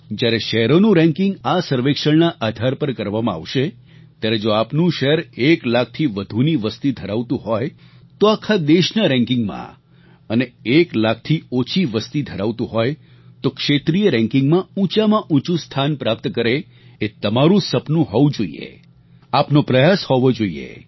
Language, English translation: Gujarati, Now ranking of cities will be done on the basis of this survey if your city has a population of more than one lakh, ranking will be done on the national level and if the population of your city is less than one lakh than it will be ranked on regional level